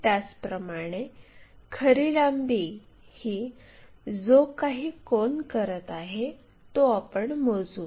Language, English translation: Marathi, Similarly, true length what is the angle it is making on this top view also